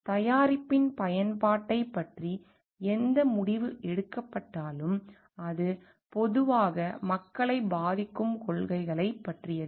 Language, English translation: Tamil, So, because it whatever decision is taken about the use of the product, and all generally it is taken about policies that effects the people at large